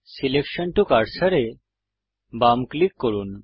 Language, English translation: Bengali, Left click cursor to selected